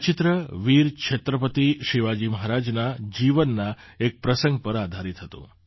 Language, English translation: Gujarati, This painting was based on an incident in the life of Chhatrapati Veer Shivaji Maharaj